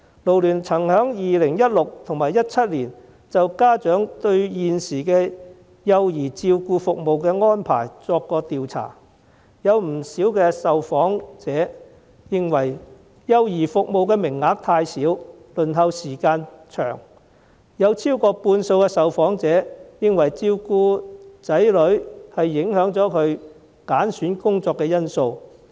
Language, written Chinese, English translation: Cantonese, 勞聯曾在2016年及2017年就家長對現時幼兒照顧服務的安排作出調查，有不少受訪者認為幼兒服務的名額太少、輪候時間過長，有超過半數受訪者認為照顧子女是影響他們揀選工作的因素。, In 2016 and 2017 FLU conducted surveys on parents views on the arrangement for childcare services and many respondents considered that the number of places for childcare services was too small and the waiting time too long . More than half of the respondents said that childcare was a factor that affected their choice of jobs